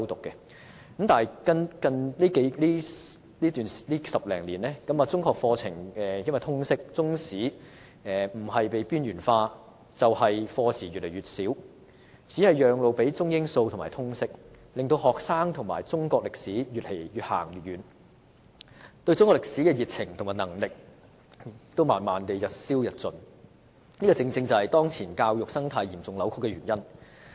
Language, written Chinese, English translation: Cantonese, 但是，近10多年來，隨着通識科的出現，中學課程的中史不是被邊緣化，就是課時越來越少，只是讓路予中、英、數及通識科，令學生與中國歷史越走越遠，對中國歷史的熱情和認識也慢慢日消日盡，這正正是當前教育生態嚴重扭曲的原因。, However over the past 10 - odd years with the advent of the subject of Liberal Studies the Chinese History curriculum for secondary schools has been marginalized and the number of teaching hours devoted to it has been reduced continuously only to make way for the subjects of Chinese English Mathematics and Liberal Studies . As a result students have been growing apart from Chinese history and their enthusiasm for and knowledge of Chinese history have eroded over time . This is precisely the cause of the serious distortion of our present education ecology